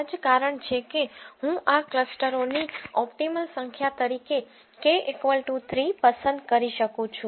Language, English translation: Gujarati, That's the reason why I can choose this k is equal to 3 as my optimal number of clusters